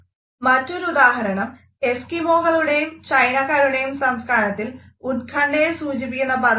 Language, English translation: Malayalam, Another example is that Eskimos and the Chinese do not have a word their culture for anxiety